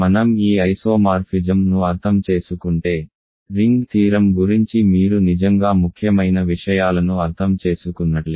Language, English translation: Telugu, If you understand this isomorphism you really have understood important things about ring theory